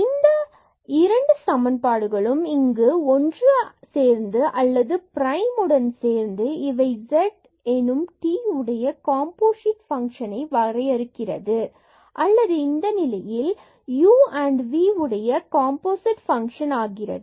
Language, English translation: Tamil, Then the equations here 1 and this 2 together or 1 with this 2 prime together are said to be to define z as composite function of t or in this case composite function of u and v